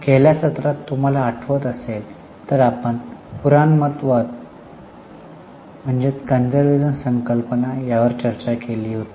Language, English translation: Marathi, If you remember in the last session we had started our discussion on the concept of conservatism